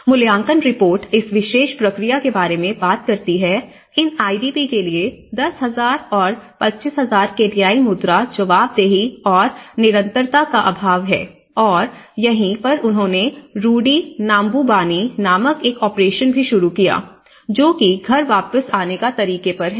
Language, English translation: Hindi, And evaluation reports talk about this particular process lacks accountability and consistency in a location of 10,000 and 25,000 Kenyan currency for these IDPs and this is where, they also started an operation called operation Rudi nyumbani, which is the how to return to home